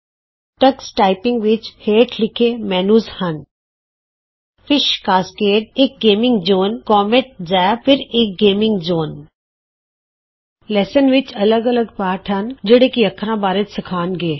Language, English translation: Punjabi, Tux Typing comprises the following menus: Fish Cascade – A gaming zone Comet Zap – Another gaming zone Lessons – Comprises different lessons that will teach us to learn characters